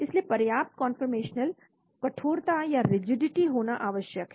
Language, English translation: Hindi, So sufficient conformational rigidity is essential